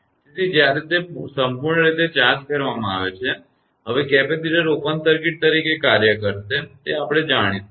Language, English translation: Gujarati, So, the when it is fully charged now capacitor will act as open circuit that is known to us